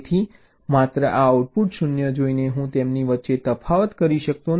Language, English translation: Gujarati, so just by looking at this output zero, i cannot distinguish between them